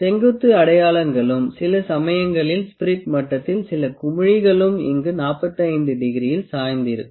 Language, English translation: Tamil, Vertical markings, and sometime a few voiles in the spirit level also at 45 degree here